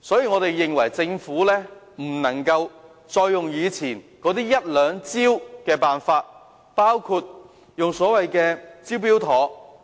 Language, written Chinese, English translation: Cantonese, 我們認為政府不可以再沿用以往的一兩招數，包括所謂的"招標妥"計劃。, We consider that the Government cannot simply stick to the few measures that it used to adopt including the Smart Tender scheme